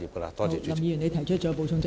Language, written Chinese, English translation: Cantonese, 林健鋒議員，你已提出了補充質詢。, Mr Jeffrey LAM you have raised your supplementary question